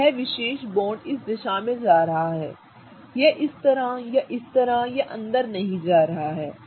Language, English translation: Hindi, So, this particular bond is going in this direction, it is not going like this or like this or inside, right